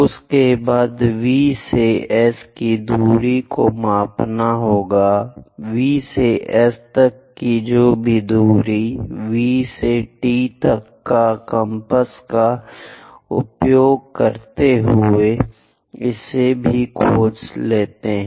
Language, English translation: Hindi, After that measure the distance from V to S; from V to S whatever the distance is there, using compass from V to T also locate it